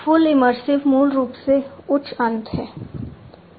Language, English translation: Hindi, Fully immersive is high end basically